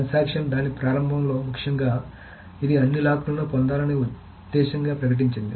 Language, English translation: Telugu, So a transaction essentially at the beginning of it it declared the intent of getting all the locks